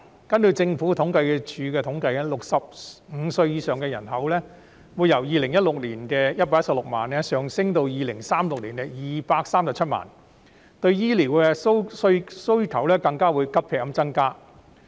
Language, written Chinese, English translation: Cantonese, 根據政府統計處的統計 ，65 歲以上人口會由2016年的116萬人上升到2036年的237萬人，令醫療需求急劇增加。, According to the statistics of the Census and Statistics Department the population aged 65 and above will grow from 1.16 million in 2016 to 2.37 million in 2036 leading to a drastic increase in the healthcare demand